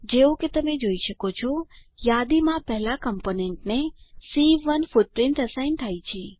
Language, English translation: Gujarati, As you can see, C1 footprint gets assigned to the first component in the list